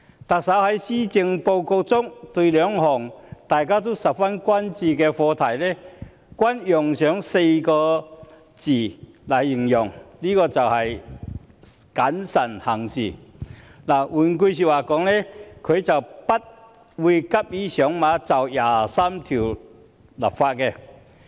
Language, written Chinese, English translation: Cantonese, 對於兩項大家十分關注的課題，特首在施政報告中同樣用了4個字："謹慎行事"，換言之，特首不會急於就《基本法》第二十三條立法。, Regarding these two issues which we are very concerned about the Chief Executive said in the Policy Address that we should act prudently . In other words the Chief Executive will not rashly legislate for Article 23 of the Basic Law